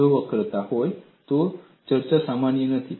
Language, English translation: Gujarati, If there is curvature, the discussion is not valid